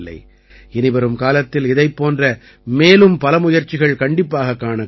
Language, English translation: Tamil, I hope to see many more such efforts in the times to come